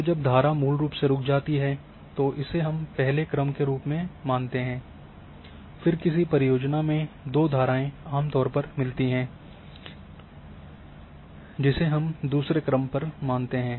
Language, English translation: Hindi, So, when stream basically stuck that we consider as first order, then two streams meets generally in one scheme we consider second order in so on so forth